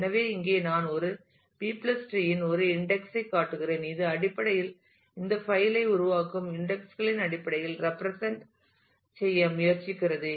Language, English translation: Tamil, So, here we I show an instance of a B + tree, which is basically trying to represent this file in terms of the creating indexes